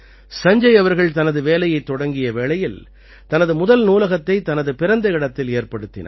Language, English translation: Tamil, When Sanjay ji had started working, he had got the first library built at his native place